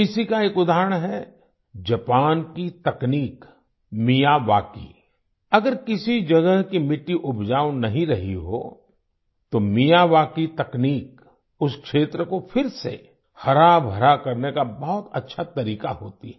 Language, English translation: Hindi, An example of this is Japan's technique Miyawaki; if the soil at some place has not been fertile, then the Miyawaki technique is a very good way to make that area green again